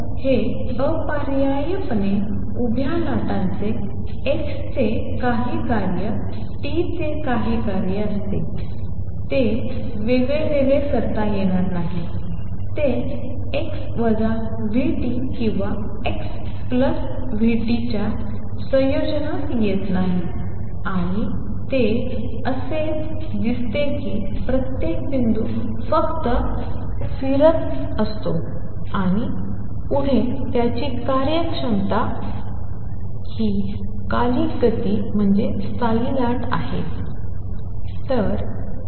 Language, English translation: Marathi, So, necessarily a standing wave has the form some function of x times some other function of t, it is separable, it does not come in a combination x minus v t or x plus v t and it is as if each point is just oscillating back and forth its performing periodic motion that is what a standing wave is